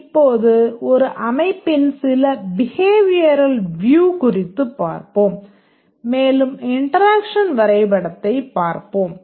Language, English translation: Tamil, Now let's look at some behavioral view of a system and we'll look at the interaction diagram